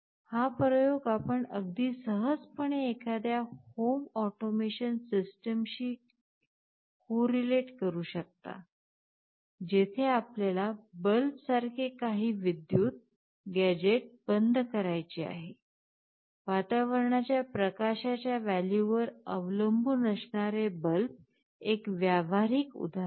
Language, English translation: Marathi, This experiment you can very easily correlate with some kind of home automation system, where you want to switch OFF some electrical gadget like bulb, bulb is a very practical example depending on the value of the ambience light